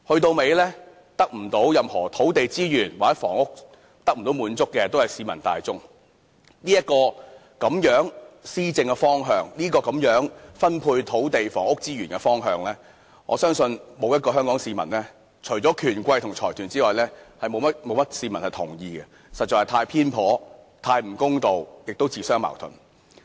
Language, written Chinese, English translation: Cantonese, 到頭來，分配不到任何土地房屋資源的都是市民大眾，這種施政方向或分配土地房屋資源的方向，我相信除了權貴和財團外，沒有一位香港市民會同意，因為實在是太偏頗，太不公道，同時亦自相矛盾。, In the end the public are those who cannot be allocated with any land and housing resources . I believe that apart from the rich and influential people as well as the consortia not a single person in Hong Kong will agree with this administrative direction or this way of allocating land and housing resources as this is too biased too unfair and self - contradictory